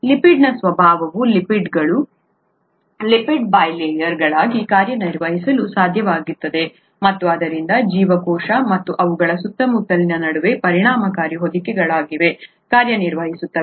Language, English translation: Kannada, The nature of the lipid itself makes it possible for lipids to act as or lipid bilayers to act as effective envelopes between the cell and their surroundings